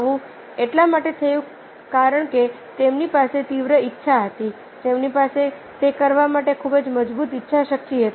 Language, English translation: Gujarati, this happened because they had a strong desire, they had a very strong willpower to that too, to do that